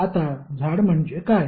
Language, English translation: Marathi, Now what is tree